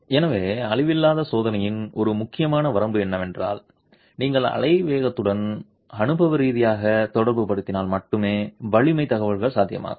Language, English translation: Tamil, So, important limitations of non destructive testing is that strength information is possible only if you correlate empirically with wave velocity